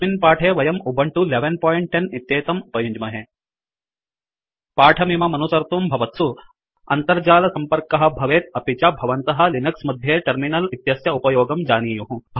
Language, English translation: Sanskrit, For this tutorial, we are using Ubuntu 11.10 To follow this tutorial, you must be connected to the internet and must have knowledge of using terminal in Linux